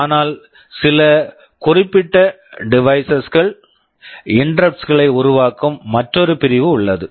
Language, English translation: Tamil, But there is another section where some specific devices are generating interrupts